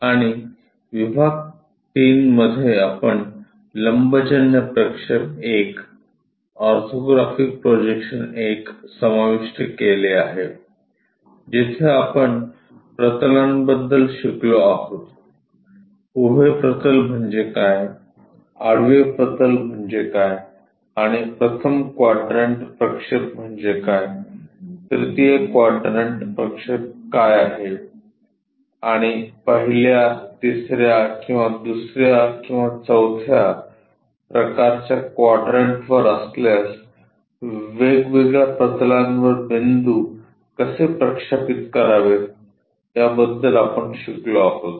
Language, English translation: Marathi, And in the module 3 we have covered orthographic projections I; where we have learnt about planes what is a vertical plane, what is a horizontal plane and what is first quadrant projection, third quadrant projection and how to project points on to different planes if it is on first third or second or fourth kind of quadrants